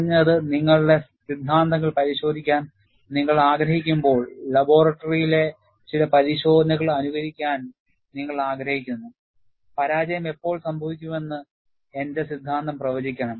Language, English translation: Malayalam, At least, when you want to verify your theories, you want to simulate certain tests in the laboratory, I should have my theory predict when the failure would occur